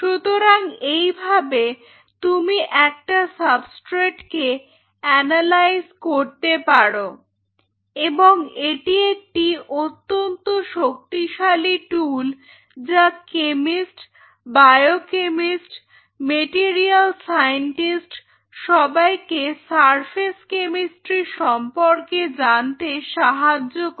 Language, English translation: Bengali, So, this is how you analyse a substrate that what all different elements which are presenting on a substrate and this is one powerful tool which help chemist, biochemist, material scientist everybody to understand the surface chemistry